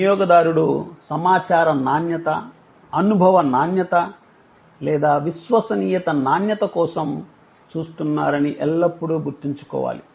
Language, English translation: Telugu, Always, remembering that the consumer is looking either for the information quality, experience quality or credence quality